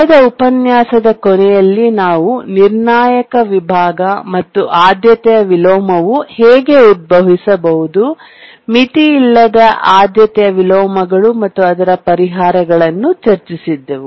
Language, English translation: Kannada, Towards the end of the last lecture, we are discussing about a critical section and how a priority inversion can arise, unbounded priority inversions and what are the solutions